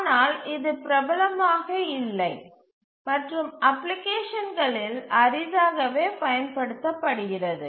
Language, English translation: Tamil, But it's not popular, rarely used in applications